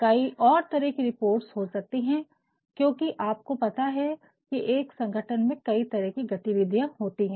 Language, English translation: Hindi, There can be other reports also, because you know in organizations, there are several activities taking place